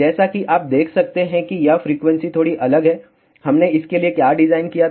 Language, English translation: Hindi, As, you can see this frequency is slightly different than, what we had done the design for